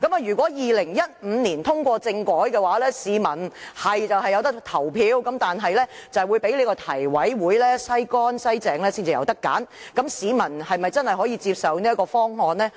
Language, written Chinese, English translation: Cantonese, 如果2015年通過政改方案，市民的確可以投票，但卻要經提委會"篩乾篩淨"後才能選擇，市民是否真的能夠接受這方案呢？, This is obviously a cheat . It is true that Hong Kong people would have had the right to vote if the 2015 constitutional reform package were passed but then they could only choose among the completely screened candidates . Do members of the public really accept his kind of proposal?